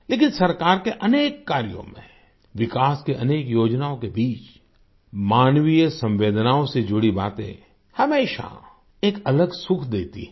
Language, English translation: Hindi, But in the many works of the government, amidst the many schemes of development, things related to human sensitivities always give a different kind of joy